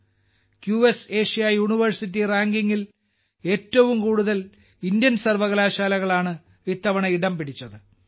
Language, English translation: Malayalam, This time the highest number of Indian universities have been included in the QS Asia University Rankings